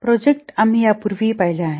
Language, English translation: Marathi, We have already seen earlier